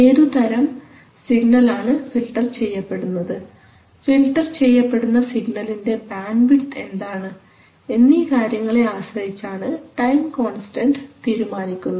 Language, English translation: Malayalam, So if it has a filter what will be the time constants of the filter that depends on what signal it is filtering what is the bandwidth of the signal it is filtering